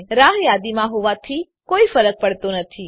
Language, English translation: Gujarati, It doesnt matter even if it is Wait listed